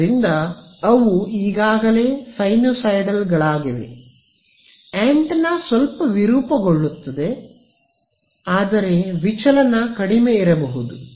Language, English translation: Kannada, So, they are already sinusoidals the antenna distorts is a little bit, but the deviation may not be much